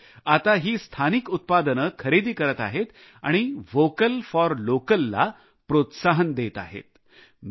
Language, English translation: Marathi, These people are now buying only these local products, promoting "Vocal for Local"